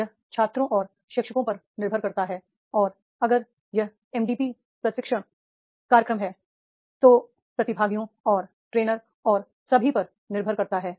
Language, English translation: Hindi, It depends on the the students and teacher and if it is a MDP training program then the participants and the trainer and all